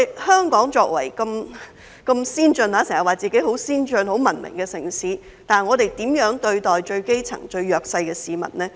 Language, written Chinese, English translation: Cantonese, 香港經常自稱為很先進、很文明的城市，但我們如何對待最基層、最弱勢的市民呢？, Hong Kong often claims to be a very advanced and civilized city but how are we treating the grass roots and the most disadvantaged groups?